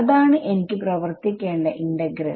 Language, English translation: Malayalam, That is the that is the integral I have to work out right